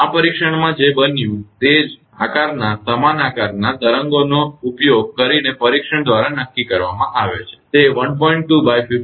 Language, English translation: Gujarati, In this gate is what happened it is determined by the test using waves of the same shape same shape means, that 1